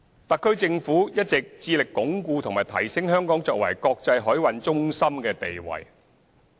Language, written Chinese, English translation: Cantonese, 特區政府一直致力鞏固及提升香港作為國際海運中心的地位。, The SAR Government has always been committed to consolidating and enhancing Hong Kongs position as an international maritime centre